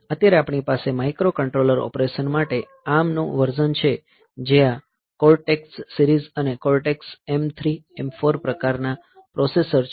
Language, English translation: Gujarati, So, right now or the version of ARM, that we have for microcontroller operation are these cortex series and cortex m 3, m 4 type of processors